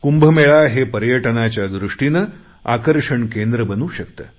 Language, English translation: Marathi, The Kumbh Mela can become the centre of tourist attraction as well